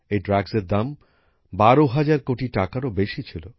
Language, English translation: Bengali, The cost of these drugs was more than Rs 12,000 crore